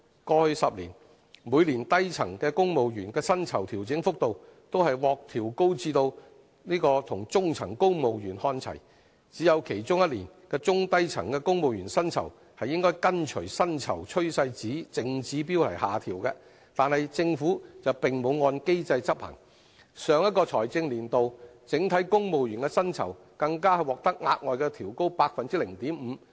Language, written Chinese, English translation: Cantonese, 過去10年，每年低層公務員薪酬調整幅度都獲調高至跟中層公務員看齊，只有其中一年，中低層公務員薪酬應跟隨薪酬趨勢淨指標下調，但政府並沒有按機制執行，上一個財政年度整體公務員薪酬更獲額外調高 0.5%。, The pay adjustment for the lower salary band civil servants has been aligned to the net pay trend indicators of the middle salary band civil servants in each of the past 10 years except one and according to the net pay trend indicators of that year downward pay adjustments should have been made to both the lower and the middle band civil servants but the Government did not implement the adjustments accordingly . In the last financial year civil servants were even granted an additional increase of 0.5 % in their pay adjustments